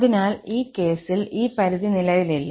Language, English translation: Malayalam, So, in this case, this limit does not exist